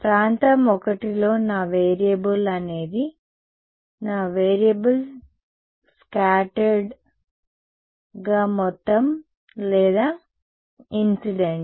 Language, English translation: Telugu, In region I my variable is the what is my variable scattered total or incident